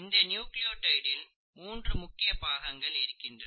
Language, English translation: Tamil, If you look at a nucleotide, it consists of three major parts